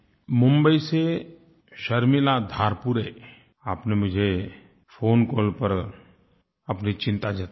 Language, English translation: Hindi, Sharmila Dharpure from Mumbai has expressed her concern to me through her phone call